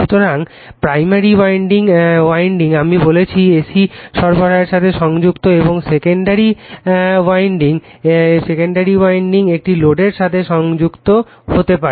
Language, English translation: Bengali, So, primary winding is connected to AC supply I told you and secondary winding may be connected to a load